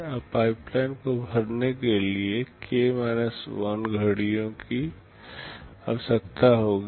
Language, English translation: Hindi, Now, k 1 clocks are required to fill up the pipeline